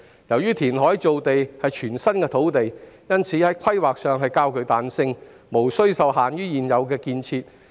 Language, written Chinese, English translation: Cantonese, 由於填海造地涉及全新土地，所以土地規劃較具彈性，無須受限於現有的建設。, As reclamation creates new land land planning will be relatively more flexible without the constraints imposed by existing developments